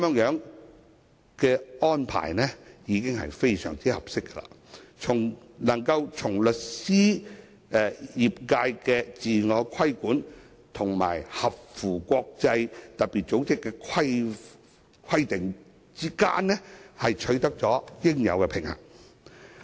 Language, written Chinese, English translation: Cantonese, 這個安排已經非常合適，在律師業界的自我規管與特別組織的規定之間，取得應有的平衡。, This arrangement is already very appropriate for achieving the necessary balance between self - regulation of the legal sector and FATFs requirements